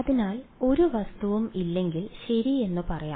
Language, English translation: Malayalam, So, let us say when there is no object ok